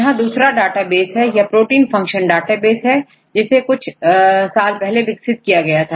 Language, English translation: Hindi, This is another database for the protein function database, we developed few years ago